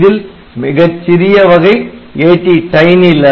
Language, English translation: Tamil, Smallest of this series is a tie ATTiny11, ok